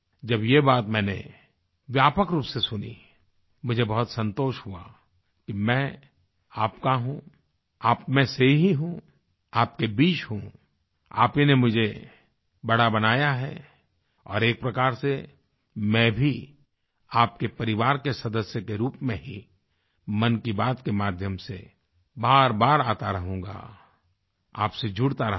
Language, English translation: Hindi, When I heard this comment in a larger circle, I felt satisfied to know that I am yours, I am one amongst you, I am with you, you elevated me and in a way, and in this way I will continue to remain connected with you as a family member through Man Ki Baat